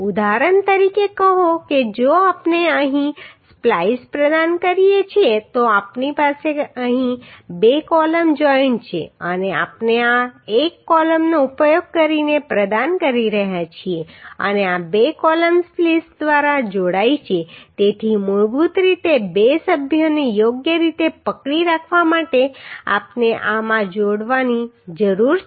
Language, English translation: Gujarati, Say for example if we provide a splice here so we have two column joint here and we are providing using this is a column and these two columns are joined by the spliced so basically to hold the two members properly we need to connect in the these members through splice